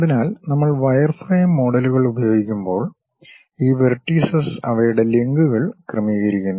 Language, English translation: Malayalam, So, when we are using wireframe models, these vertices adjust their links